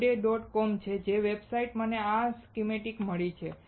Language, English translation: Gujarati, com, the website from which I got this schematic